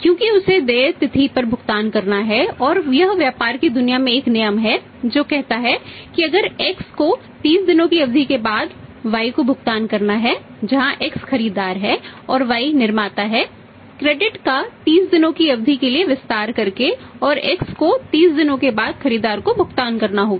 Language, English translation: Hindi, Because he has to make the payment on the due date and it is a rule in the business world that say if X has to make the payment to Y after period of 30 days access the manufacturer by and by is the manufacturer's by extending in the credit for period of 30 days and he has to access to make the payment to buyer after 30 days because the credit period is 30 days